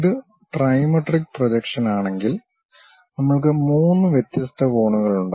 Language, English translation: Malayalam, If it is trimetric projections, we have three different angles